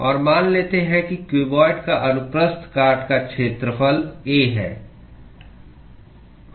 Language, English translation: Hindi, And let us assume that the cross sectional area of the cuboid is A